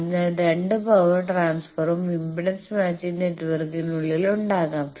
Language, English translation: Malayalam, So, both the power transfer can be there internally inside the impedance matching network